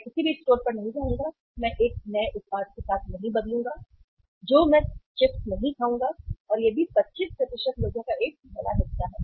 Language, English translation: Hindi, I will not go to any store I will not replace with a new product I will not eat chips and that is also a big chunk 25% of the people